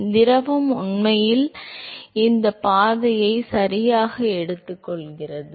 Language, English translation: Tamil, So, this is the; fluid is actually taking this path right